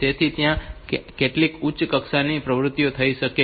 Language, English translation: Gujarati, So, some higher level activity has to take place